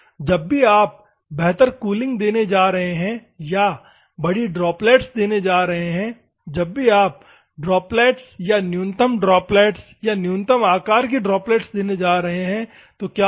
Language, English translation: Hindi, Whenever you are going to give better cooling or the big droplets, whenever you are going to give the small droplets or minimal droplets, minimal size droplets, what will happen